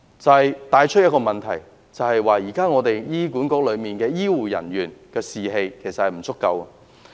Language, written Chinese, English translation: Cantonese, 這帶出一個問題，就是現時醫管局內醫護人員的士氣低落。, The apparent problem lies in the low morale of HAs health care personnel